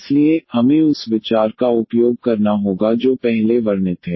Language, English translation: Hindi, So, we have to use the idea which is described just before